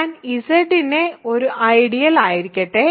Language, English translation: Malayalam, So, let I be an ideal of Z